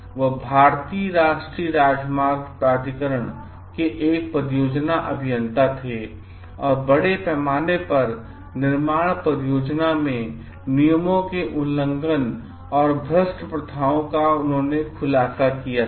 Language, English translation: Hindi, So, he was a project engineer of the National Highway Authority of India and he has exposed several cases of large scale flouting of rules and corrupt practices in the construction project